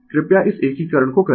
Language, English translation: Hindi, You please do this integration